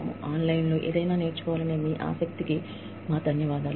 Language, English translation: Telugu, Thanks to you, and your interest in learning something, online